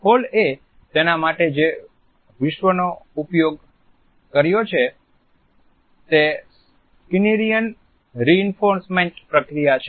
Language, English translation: Gujarati, The world which Hall has used for it is the Skinnerian reinforcement procedure